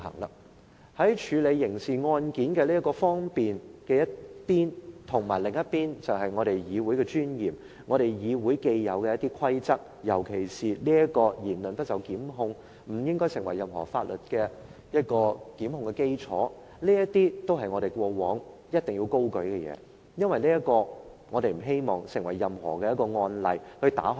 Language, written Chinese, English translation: Cantonese, 一方面要方便處理刑事案件，另一方面要顧及議會的尊嚴和既有的規則，尤其是"言論不受檢控"、言論不應該成為任何法律檢控的基礎，這些都是我們過往高舉的原則，因為我們不希望打開任何缺口而成為一個案例。, However we must strike a balance on facilitating the processing of a criminal case and maintaining the dignity of the Council and the established rules particularly the rule that no legal proceedings shall be instituted against any member for words spoken and that the words spoken by any Member shall not form the basis of any legal proceedings instituted against him . These are the principles which we have upheld in the past and we do not wish to open a crack and set a precedent